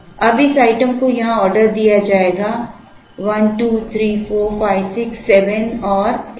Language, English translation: Hindi, Now, this item will be ordered here, 1 2 3 4 5 6 7 and there is a 8